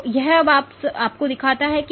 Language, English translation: Hindi, So, this shows you now